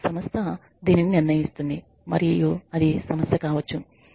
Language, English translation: Telugu, The organization decides this and that can be a problem